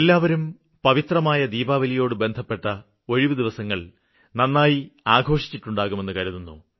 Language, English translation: Malayalam, I believe you must have had a great time during your Diwali vacations amidst all festivities